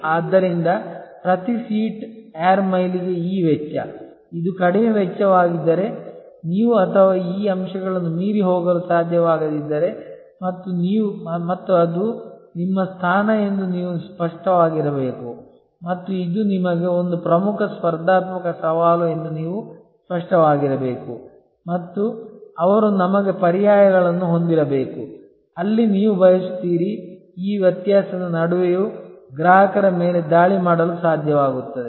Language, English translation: Kannada, So, this cost per seat air mile, if this is the lowest cost then you have to be very clear that if you or not able to go beyond this points say and they this is your position then you should be clear that this is a major competitive challenge for you and they we have to have alternatives, where you will able to attack customers in spite of this difference